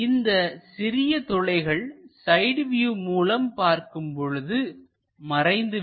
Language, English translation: Tamil, Here there are holes when we are looking from the side view, these lines will be visible